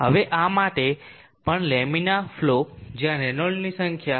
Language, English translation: Gujarati, Now for this also the lamina flow where Reynolds number is between 0